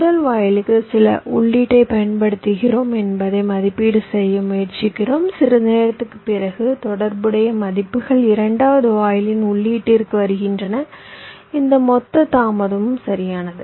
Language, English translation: Tamil, we are trying to evaluate that we are applying some input to the first gate after some time, after how much time the corresponding values are coming to the input of the second gate, this total delay, right now